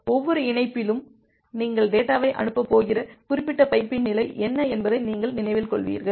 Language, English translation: Tamil, That with every connection, you will remember that what was the state of that particular pipe through which you are going to send the data